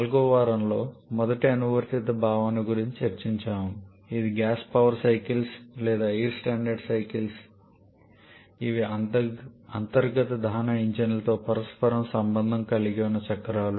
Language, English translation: Telugu, In week number 4 we have discussed about the first applied concept of ours which is the gas power cycles or air standard cycles which are the cycles associated with reciprocating internal combustion engines